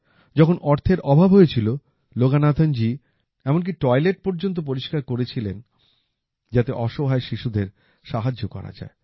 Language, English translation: Bengali, When there was shortage of money, Loganathanji even cleaned toilets so that the needy children could be helped